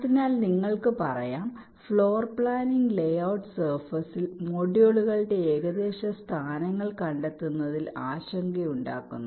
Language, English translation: Malayalam, so you can say, floor planning concerns finding the approximate locations of the modules on the layout surface